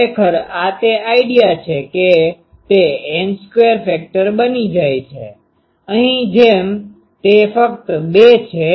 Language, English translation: Gujarati, Actually, this is the idea that it becomes a N square factor ok; like here, it is only 2